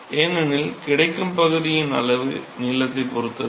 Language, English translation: Tamil, Because the amount of the area that is available depends upon the length